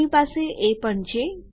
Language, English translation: Gujarati, We also have the..